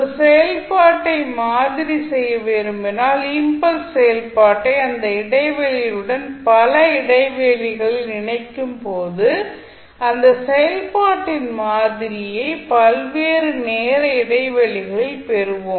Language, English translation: Tamil, So, when you want to sample a particular function, you will associate the impulse function with that function at multiple intervals then you get the sample of that function at various time intervals